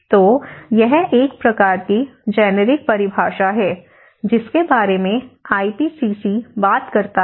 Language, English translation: Hindi, So, this is a kind of generic definition which IPCC talks about